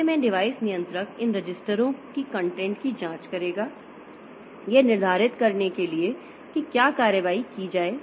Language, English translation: Hindi, The device controller in turn will examine the content of these registers to determine what action to take